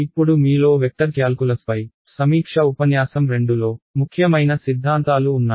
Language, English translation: Telugu, Now those of you who saw the review lecture on a vector calculus, there were two very important theorems